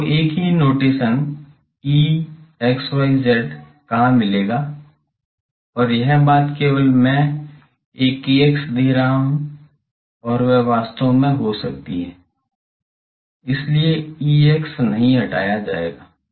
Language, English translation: Hindi, where you will see same notation E x y z and this thing only I am giving a sorry k x might be really, so E x yes, no this will be removed